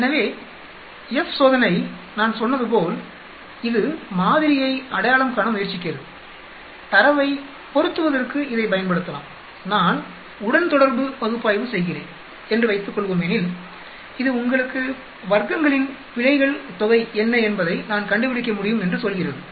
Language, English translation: Tamil, So, F test as I said, it tries to identify the model it can be used for fitting the data, suppose I am doing a regression analysis it tells you I can find out what is the errors sum of squares